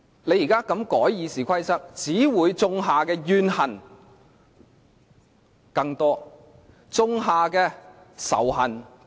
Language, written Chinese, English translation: Cantonese, 你現在這樣修改《議事規則》，只會種下更多怨恨、種下更多仇恨。, As the RoP is amended this way you have certainly sown grievances and indeed more hatred